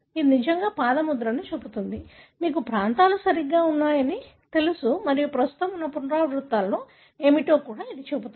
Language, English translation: Telugu, That really shows the foot print like, you know there are regions right and it also shows what are the repeats that are present